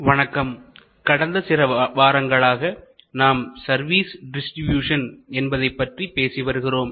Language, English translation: Tamil, Hello, we have been discussing over the last few sessions about distribution of services